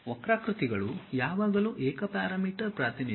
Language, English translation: Kannada, Curves are always be single parameter representation